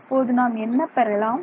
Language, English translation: Tamil, what will we do now